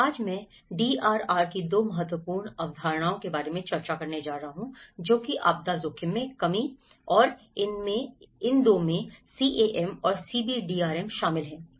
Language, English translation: Hindi, Today, I am going to discuss about 2 important concepts of DRR which is disaster risk reduction and these 2 includes CAM and CBDRM